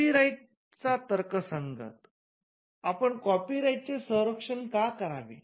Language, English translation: Marathi, The rationale of copyright: Why should we protect copyrights